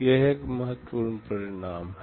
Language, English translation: Hindi, This is an important result